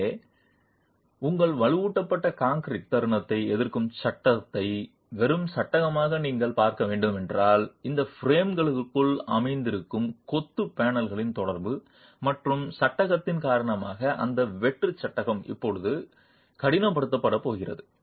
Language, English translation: Tamil, So, if you were to look at your reinforced concrete moment resisting frame as a bare frame, that bare frame is now going to be stiffened due to the interaction of the masonry panels sitting within these frames and the frame itself